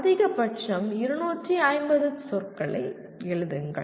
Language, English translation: Tamil, Write some 250 words maximum